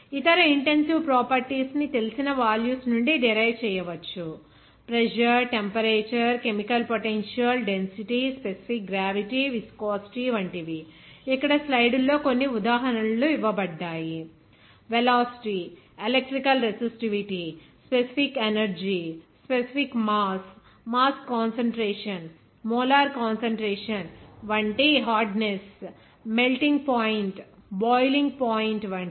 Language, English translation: Telugu, Other intensive properties can be derived from the known values, there some examples are given here in the slides that like pressure, temperature, chemical potential, density, specific gravity, viscosity, even you know that velocity, even electrical resistivity, specific energy, specific mass, even mass concentration, molar concentration like hardness, melting point, boiling point